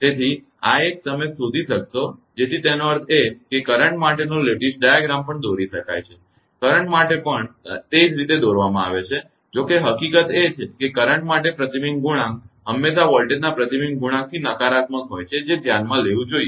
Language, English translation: Gujarati, So, this one you will find out so that means, that lattice diagrams for current can also be drawn same way current also can be drawn; however, the fact that the reflection coefficient for current is always the negative of the reflection coefficient of voltage should be taken into account